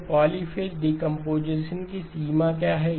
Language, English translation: Hindi, So what are the range of the polyphase components